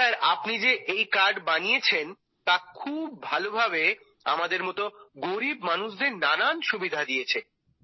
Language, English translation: Bengali, Sir and this card that you have made in a very good way and for us poor people is very convenient